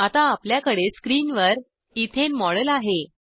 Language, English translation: Marathi, We now have the model of Ethane on the screen